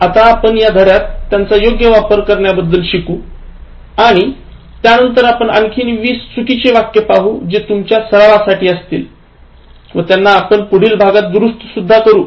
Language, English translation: Marathi, Now, we will learn about the correct usage of them in this lesson and then we will learn 20 more incorrect ones, in the sense that I will give you 20 more for exercise and we will get it corrected in the next one